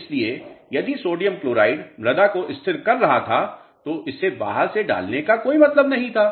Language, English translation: Hindi, So, if sodium chloride was stabilizing the soils there was no point in adding it from outside